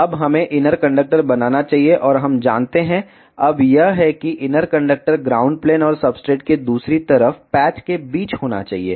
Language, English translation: Hindi, And we know, now that the inner conductor should be between the ground plane and the patch that is on the other side of the substrate